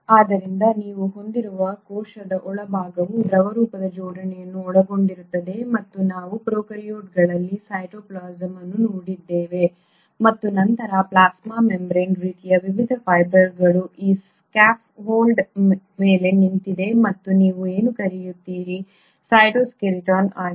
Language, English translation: Kannada, So what you have is the interior of the cell which consists of a fluidic arrangement and that is what we had seen in prokaryotes also which is a cytoplasm, and then the plasma membrane kind of a rests on this scaffold of various fibres and what you call as the cytoskeleton